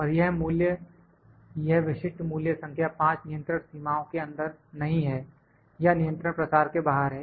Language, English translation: Hindi, And this value this specific value the value number 5 is not in control is out of control range